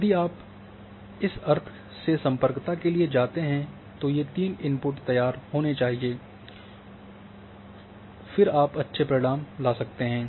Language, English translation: Hindi, So, before you go for connectivity from the sense these three inputs must be ready and then you can drive nice results